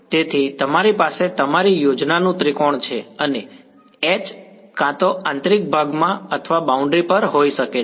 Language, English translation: Gujarati, So, you have your triangulation of the scheme and the h could either be in the interior or on the boundary